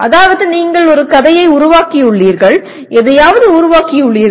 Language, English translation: Tamil, That means you have created a story, created something